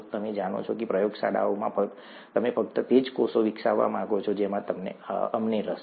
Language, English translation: Gujarati, You know in the labs you would want to grow only the cells that we are interested in